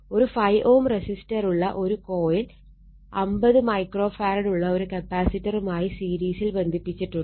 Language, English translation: Malayalam, A coil having a 5 ohm resistor is connected in series with a 50 micro farad capacitor